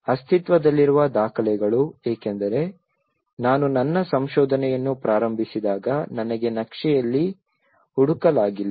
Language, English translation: Kannada, Documentation of existing, because when I started my research I couldnÃt find in the map